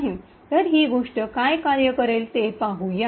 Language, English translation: Marathi, So, let us see why this thing would work